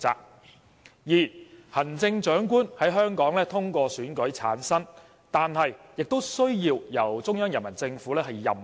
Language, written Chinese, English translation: Cantonese, 第二，行政長官在香港通過選舉產生，但亦需要由中央人民政府任命。, Second the Chief Executive shall be selected by election in Hong Kong and appointed by the Central Peoples Government